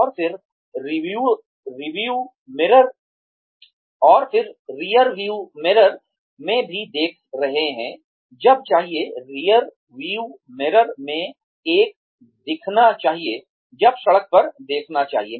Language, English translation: Hindi, And then, also looking in the rearview mirror, when should, one look in the rearview mirror, when should one look at the road